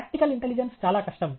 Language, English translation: Telugu, Practical intelligence is the most difficult